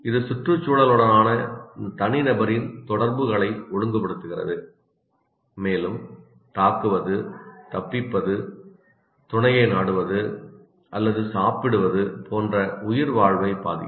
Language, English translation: Tamil, And it regulates individuals interactions with the environment and can affect survival, such as whether to attack, escape, mate or eat